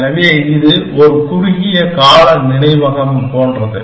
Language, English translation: Tamil, So, it is, this is like a short term memory